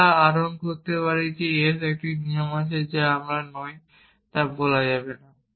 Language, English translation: Bengali, We can derive s there is a rule which I am not may be not stated